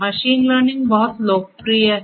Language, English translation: Hindi, Machine learning is very popular